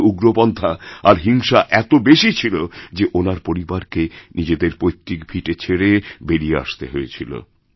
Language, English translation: Bengali, Terrorism and violence were so widespread there that his family had to leave their ancestral land and flee from there